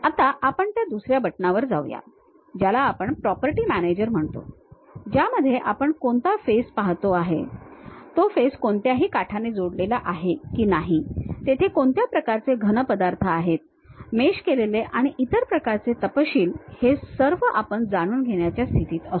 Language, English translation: Marathi, Now, let us move on to that second button that is what we call property manager In that you will be in a position to know which face I am really looking at, whether that face is added by any edge or not, what kind of solids are have been meshed and other kind of details